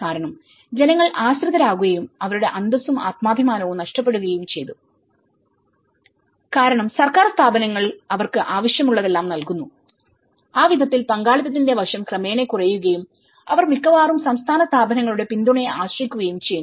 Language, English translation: Malayalam, Because people have become dependent and have lost their dignity and self esteem because state institutions have been providing them whatever they need it, so in that way that participation aspect have gradually come down and they are almost becoming mostly dependent yes on the state institutions support and either they are looking for any kind of external support or a cooperation